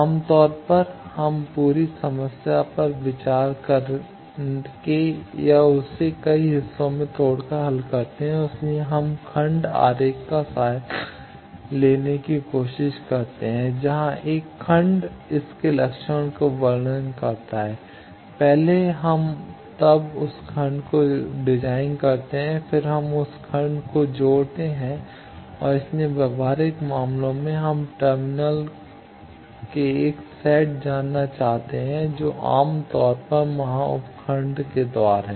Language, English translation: Hindi, Generally, we solve by considering or breaking the whole problem into several parts and that is why we try to resort to block diagrams and where a sub block its characterization, first we do then we design that block, then we inter connect that block and hence in practical cases we want to know at a set of terminals which are generally the ports of the sub blocks there